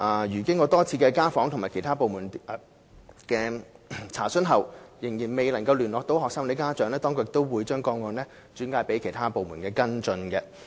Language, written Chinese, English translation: Cantonese, 如果經過多次家訪及向其他部門查詢後，仍未能聯絡學生或家長，當局亦會把個案轉介其他部門跟進。, If the authorities still fail to get into contact with the student or parents concerned after repeated home visits and enquiries with other departments they will refer the case to other departments for follow - up